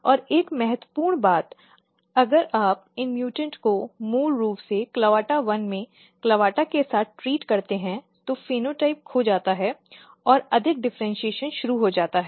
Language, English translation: Hindi, Which means that and another important thing if you treat these mutants with the CLAVATA basically in clavata1 the the phenotype is lost in fact it is more differentiation has started